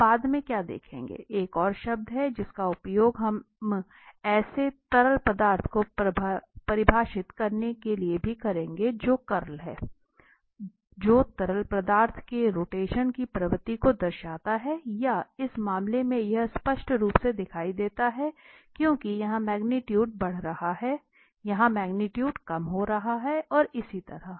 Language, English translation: Hindi, What we will see later on there is another term which we will use to also define such fluid that is curl, which signifies the rotation of the, or the tendency of the rotation of the fluid and in this case it is clearly visible that because here the magnitude is increasing, here the magnitude is decreasing and so on